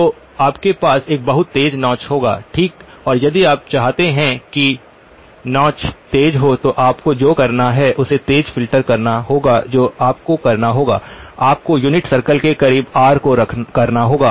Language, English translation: Hindi, So you will have a fairly sharp notch okay and if you want the notch to be sharper than what it is what you would have to do is to make it sharper filter what you would have to do, you have to send r closer to the unit circle